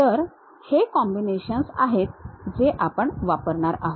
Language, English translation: Marathi, So, these are the combinations what we will use